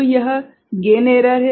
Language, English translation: Hindi, So, this is the gain error